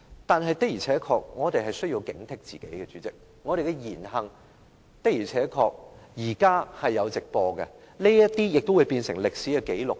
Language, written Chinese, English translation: Cantonese, 但是，我們的確需要警惕自己，因為我們的言行會因為現時經常有直播而變成歷史紀錄。, However we do have to maintain our vigilance because with the growing popularity of live coverage of events our words and deeds will turn into historical records